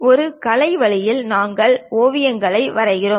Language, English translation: Tamil, In artistic way, we draw sketches